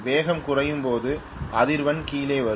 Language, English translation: Tamil, When the speed comes down the frequency will come down